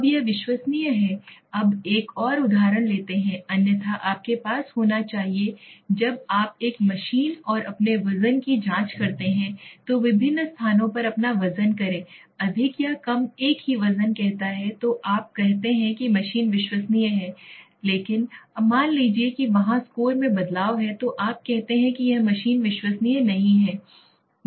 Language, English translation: Hindi, Now it is reliable, now let s take another example otherwise, you must have checked your weight correct, at different places when you check your weight on a machine and it says the more or less same weight then you say the machine is reliable but suppose there is the variation in the score right then you say that this machine is not reliable right